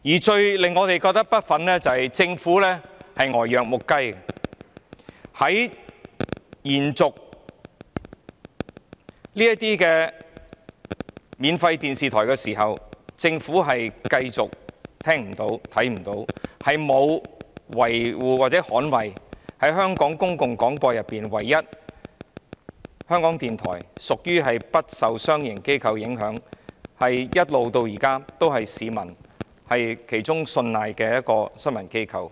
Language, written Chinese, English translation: Cantonese, 最令我們感到不忿的是政府呆若木雞，在延續這些免費電視台的牌照時，政府繼續聽不到、看不到，沒有捍衞在香港公共廣播中唯一不受商營機構影響的港台，它至今仍是市民信賴的其中一個新聞機構。, It is most infuriating that the Government remains dumbstruck and in the renewal of these free television licences the Government continued to turn a deaf ear and a blind eye to what happened taking no action to defend RTHK the one and only public broadcasting organization not influenced by any commercial organization . It remains a news organization commanding public trust